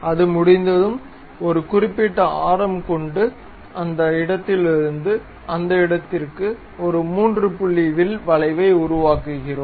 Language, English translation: Tamil, Once it is done, we make a arc 3 point arc from that point to that point with certain radius